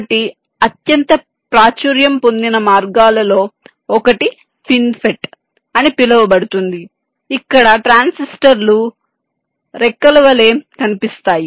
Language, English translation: Telugu, so one of the most popular ways is called fin fet, where the transistors look like fins